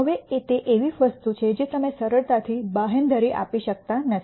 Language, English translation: Gujarati, Now, that is something that is you cannot guarantee easily